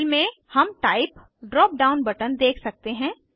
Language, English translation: Hindi, Under Fill, we can see Type drop down button